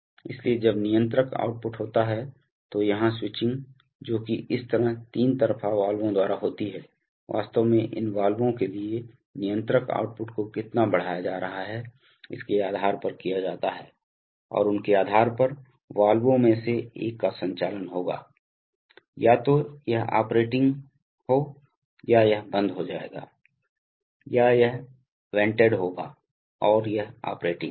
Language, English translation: Hindi, So when the controller output, so here the switching which is by this three way valves is actually done based on how much controller output is being exerted to these valves, and depending on them, one of the valves will be operating, either this will be operating or this will be shut off, or this will be vented and this will be operating